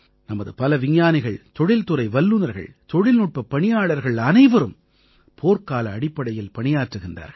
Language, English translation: Tamil, So many of our scientists, industry experts and technicians too are working on a war footing